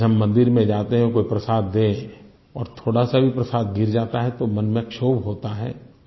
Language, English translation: Hindi, When we go to a temple, we are given an offering of Prasad and even if a small bit of that spills, we feel bad in our hearts